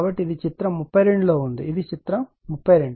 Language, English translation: Telugu, So, that is in the figure thirty 2 this is your figure 32